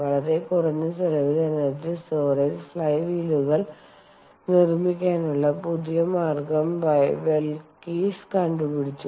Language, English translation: Malayalam, velkess has invented a new way to make energy storage flywheels at very low cost